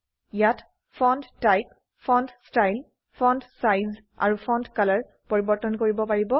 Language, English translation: Assamese, Here you can change the Font type, Font style, font Size and font Color